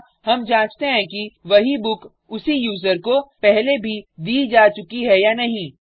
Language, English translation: Hindi, Here, we check if the same book has already been issued by the same user